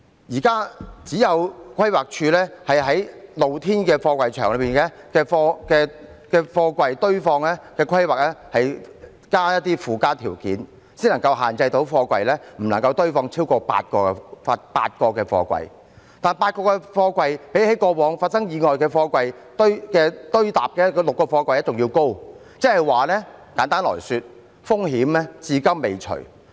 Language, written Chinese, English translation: Cantonese, 現時只有規劃署有就露天貨櫃場內的貨櫃堆放規劃加入一些附加條件才能限制貨櫃場不能夠堆放超過8個貨櫃，但8個貨櫃比起過往發生意外的貨櫃堆疊的6個貨櫃還要高，即簡單來說，風險至今未除。, At present additional conditions imposed by the Planning Department to limit the stacking height of containers at open storage space have limited the stacking height of containers to not more than eight containers at container yards . However the stacking height of eight containers is still higher than where the aforementioned accidents involving stacking height of six containers happened . To put it in simple terms the risk has not been eliminated